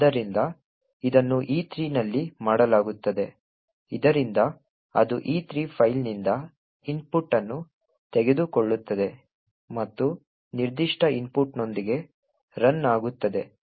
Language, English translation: Kannada, So, this is done by at E3 so which would take the input from the file E3 and run with that particular input